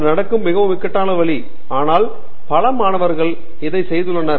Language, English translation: Tamil, This is the more mundane way in which it happens, but I have seen many students do this